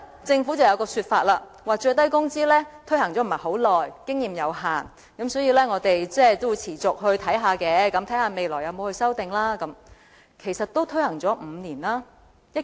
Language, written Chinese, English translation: Cantonese, 政府還有一個說法，就是最低工資的推行時間不是很長，經驗有限，所以要持續留意，看看日後需要作出甚麼修訂。, The Government has also made another remark that is the minimum wage has been implemented not for a long period of time and the experience gained is limited so it has to pay attention to it continuously and see what amendments are required in future